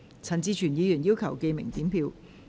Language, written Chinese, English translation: Cantonese, 陳志全議員要求點名表決。, Mr CHAN Chi - chuen has claimed a division